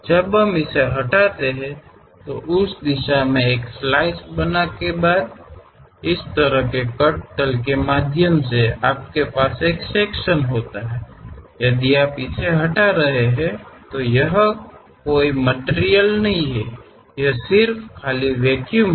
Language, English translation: Hindi, When we remove it, after making a slice in that direction; similarly, when you have a section; through cut plane if you are removing it, there is no material here, it is just blank empty vacuum that is the reason we have empty thing